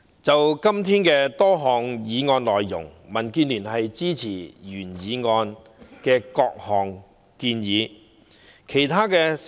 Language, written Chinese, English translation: Cantonese, 就今天多項議案及修正案，民建聯支持原議案的各項建議。, As regards the original motion and a number of amendments proposed today DAB supports the various suggestions made in the original motion